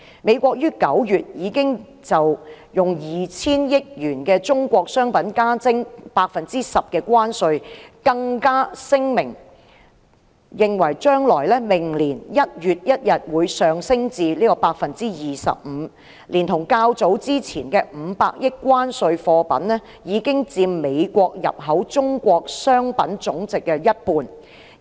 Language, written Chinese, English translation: Cantonese, 美國於9月已經就 2,000 億元的中國商品加徵 10% 關稅，更聲明將在明年1月1日將關稅增至 25%， 連同較早前的500億元關稅所涉及的貨品，已佔美國入口中國商品總值的一半。, The United States has already imposed a 10 % tariff on US200 billion worth of Chinese goods in September and it declared that the tariff would be increased to 25 % from 1 January next year . This in addition to the tariffs imposed earlier on US50 billion worth of Chinese goods will account for one half of the total value of all Chinese goods imported by the United States